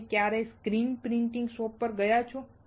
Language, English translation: Gujarati, Have you ever gone to a screen printing shop